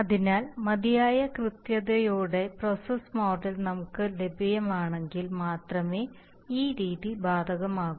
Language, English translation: Malayalam, So this method is applicable only we have the process model of sufficient accuracy available